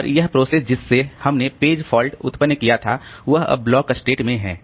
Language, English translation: Hindi, And the process which generated the page fault is now in the blocked state